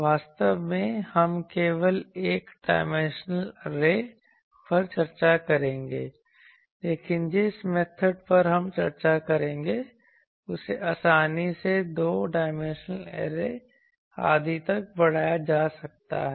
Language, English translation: Hindi, Actually, we will discuss only one dimensional array, but the method that we will discuss can be easily extended to the two dimensional arrays etc